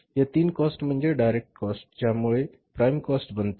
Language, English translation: Marathi, These three costs are the direct cost which make the prime cost